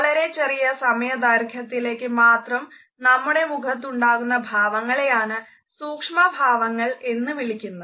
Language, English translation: Malayalam, Micro expressions are those facial expressions that come on our face in a very fleeting manner